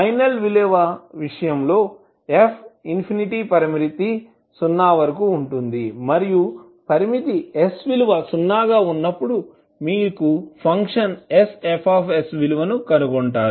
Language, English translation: Telugu, While in case of final value f infinity limit will tends to 0 and you will find the value of function s F s when limit s tends to 0